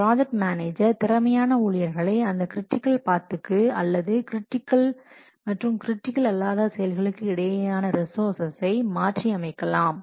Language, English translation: Tamil, The project manager may consider allocating more efficient staff to activities on the critical path or swapping resources between critical and non critical activities